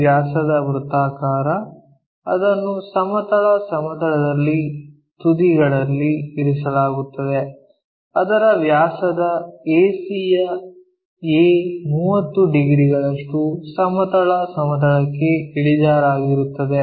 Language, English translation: Kannada, A circle of 50 mm diameter, it is resting on horizontal plane on end A of its diameter AC which is 30 degrees inclined to horizontal plane